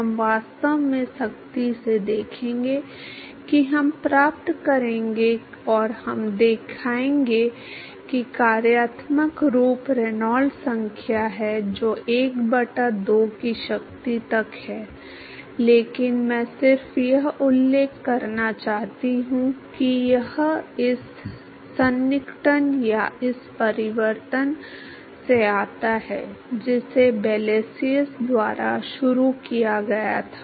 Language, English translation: Hindi, We will actually see rigorously we will derive and we will show that the functional form is Reynolds number to the power of 1 by 2, but I just wanted to mention that it comes from this approximation or this transformation that was started by Blasius all right